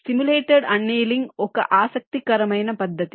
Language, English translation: Telugu, ok, simulated annealing is an interesting method